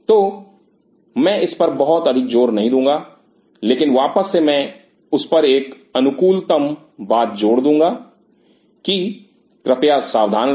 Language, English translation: Hindi, So, I will not over emphasize, but again I will do an optimal emphasization on that that please be careful